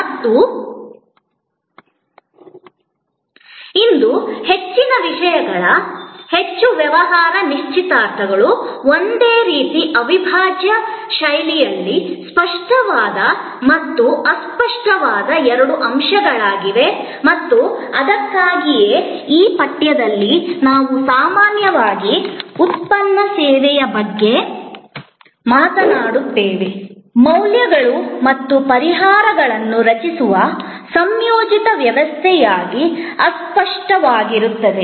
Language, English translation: Kannada, And most things today, most business engagements are both elements, tangible and intangible in a kind of integral fashion and that is why in this course, we will often talk about product service tangible, intangible as a composite system for creating values and solutions